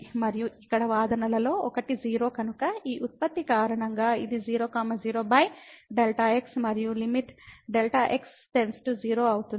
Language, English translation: Telugu, And since one of the argument here is 0, because of this product this will become 0 minus 0 over delta x and the limit delta to 0